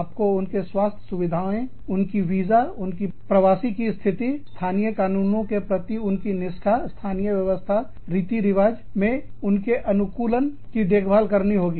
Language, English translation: Hindi, You have to look after, their stay, their health facilities, their visas, their migratory status, their adherence to local laws, their adaptation to local systems, customs, etcetera